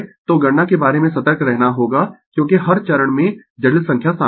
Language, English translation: Hindi, So, we have to be careful about the calculation because complex number is involved in every step